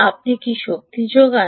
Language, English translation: Bengali, what do you energize